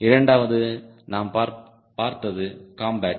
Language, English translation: Tamil, second is combat, which we have seen